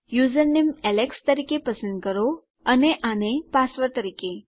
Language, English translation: Gujarati, Choosing username as alex and this as your password